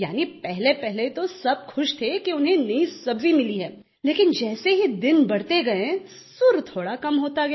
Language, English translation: Hindi, Initially, all were happy as they got a new vegetable, but as days passed by the excitement began going down